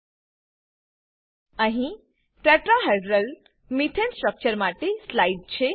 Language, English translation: Gujarati, Here is a slide for the Tetrahedral Methane structure